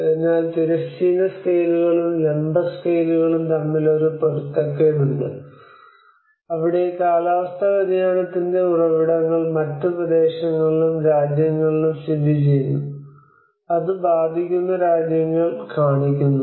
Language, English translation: Malayalam, So there is also a mismatch between the horizontal scales and vertical scales where the sources of climate change often lie in other regions and countries then where it is affects are shown